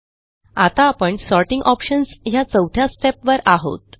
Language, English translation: Marathi, Now we are in Step 4 Sorting Options